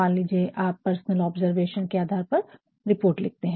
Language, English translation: Hindi, Suppose, you are actually going to write a report based on personal observation